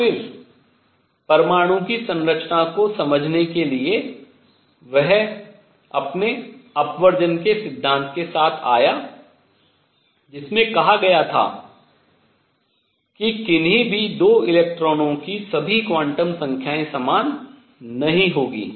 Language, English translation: Hindi, And then to understand the structure of atom next all he came with his exclusion principle, which said no 2 electrons will have all quantum numbers the same